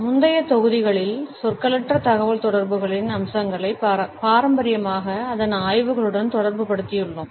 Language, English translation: Tamil, In the previous modules, we have looked at those aspects of nonverbal communication which have been traditionally associated with its studies